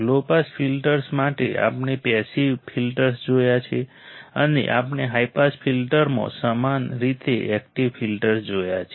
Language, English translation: Gujarati, For low pass filters we have seen passive filters and we have seen active filters same way in high pass filter